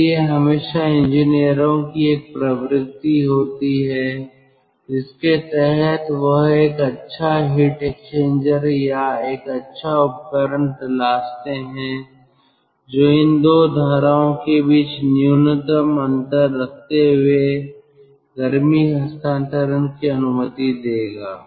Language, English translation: Hindi, so always there is a tendency or this is look out of the engineers to have a good heat exchanger or good device which will allow heat transfer between these two streams while keeping the temperature difference between them the minimum